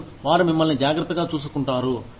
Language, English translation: Telugu, And, they will take care of you